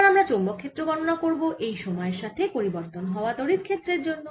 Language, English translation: Bengali, now we will calculate the magnetic field due to this time varying electric field